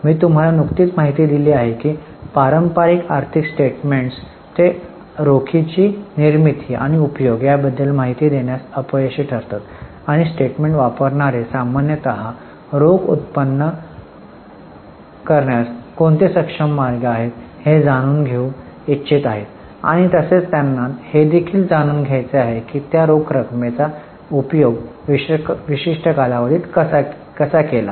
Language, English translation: Marathi, I have just informed you that the traditional financial statements they fail to give information about generation and utilization of cash and users of the statement usually want to know what are the ways an enterprise is able to generate the cash and they also want to know how that cash is utilized in a particular period